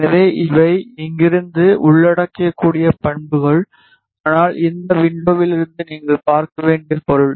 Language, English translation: Tamil, So, these are the properties which can be entered from here as well , but the meaning you have to see from this window itself